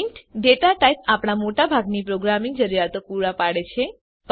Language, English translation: Gujarati, The Data type int is enough for most of our programming needs